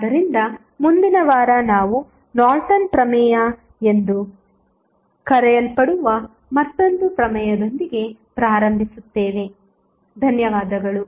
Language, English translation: Kannada, So, next week we will start with another theorem which is called as Norton's Theorem, thank you